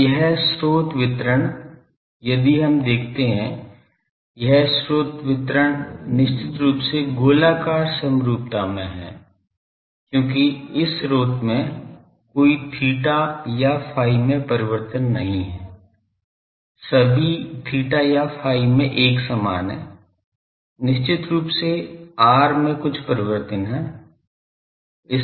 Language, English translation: Hindi, Now, So, this source distribution if we you see this source distribution is definitely spherically symmetry because this source does not have any theta or phi variation in all theta and phi it will be looking same definitely it has some r variation